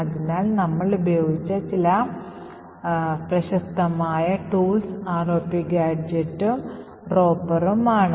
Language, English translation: Malayalam, So, some quite famous tools which we have used is this ROP gadget and Ropper